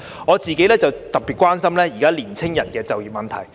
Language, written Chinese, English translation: Cantonese, 我個人特別關心現時年青人的就業問題。, I am especially concerned about the employment of young people